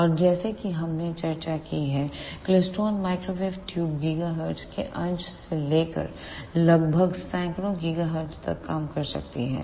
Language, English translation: Hindi, And as we discussed the klystron microwave tubes can work from fraction of gigahertz to about hundreds of gigahertz